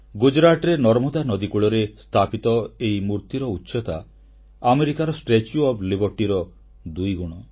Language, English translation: Odia, Erected on the banks of river Narmada in Gujarat, the structure is twice the height of the Statue of Liberty